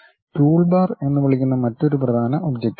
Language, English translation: Malayalam, And there is another important object which we call toolbar